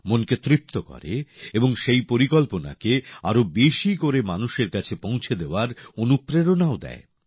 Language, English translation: Bengali, It also gives satisfaction to the mind and gives inspiration too to take that scheme to the people